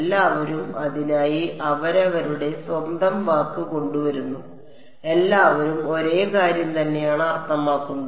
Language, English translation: Malayalam, Everyone comes up with their own word for it they all mean the same thing ok